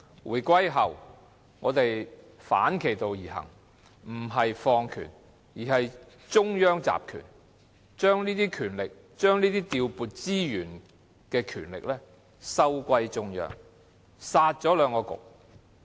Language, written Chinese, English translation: Cantonese, 回歸後，政府反其道而行，不是放權而是中央集權，把調撥資源的權力收歸中央，"殺"了兩局。, After the reunification the Government worked in reverse . Instead of devolving any power it centralized the powers recovered the power of resource allocation and scrapped the two Municipal Councils